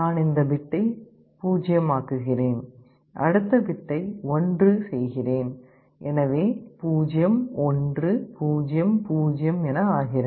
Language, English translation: Tamil, I make this bit as 0, I make the next bit 1: so 0 1 0 0